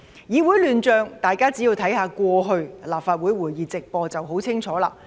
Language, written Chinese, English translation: Cantonese, 議會亂象，大家只要看看過去立法會會議直播便會十分清楚。, People could get a very clear picture of the chaos in the legislature simply by watching the live broadcast of Council meetings in the past